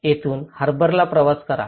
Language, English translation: Marathi, This is where travel to the harbour